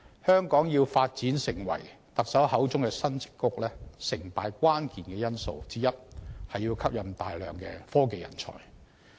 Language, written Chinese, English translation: Cantonese, 香港要發展成為特首口中的"新矽谷"，成敗關鍵因素之一是要吸引大量的科技人才。, In order for Hong Kong to become the new Silicon Valley as proclaimed by the Chief Executive one of the keys to success or otherwise is to attract a great bunch of technology talents